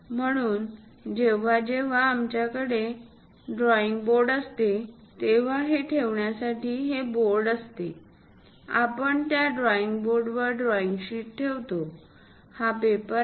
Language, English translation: Marathi, So, whenever we have a drawing board, to hold this is the board ; we will like to hold the drawing sheet on that drawing board, this is the paper